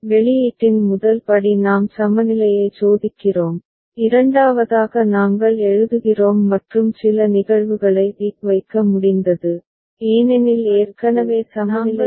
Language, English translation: Tamil, First step with the output we are testing the equivalence, second we are writing down and some of the cases we have been able to put tick because already the equivalence is there ok